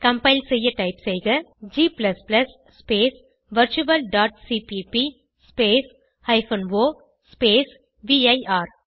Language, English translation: Tamil, To compile type: g++ space virtual.cpp space o space vir